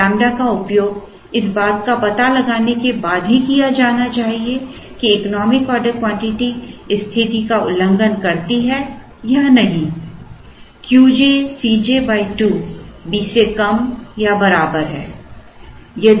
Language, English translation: Hindi, One should use this lambda, only after ascertaining that the economic order quantity violates the condition Q j C j by 2 is less than or equal to B